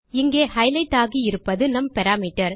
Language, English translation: Tamil, What I have highlighted here is our parameter